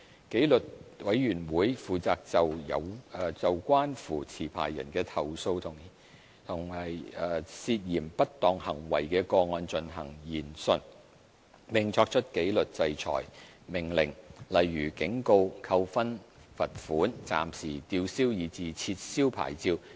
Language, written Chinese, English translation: Cantonese, 紀律委員會負責就關乎持牌人的投訴和涉嫌不當行為的個案進行研訊，並作出紀律制裁命令，例如警告、扣分、罰款、暫時吊銷以至撤銷牌照。, The disciplinary committee will be responsible for conducting inquiries into cases of complaint or suspected misconduct against licensees and making disciplinary orders such as warnings demerit points financial penalties and licence suspension or revocation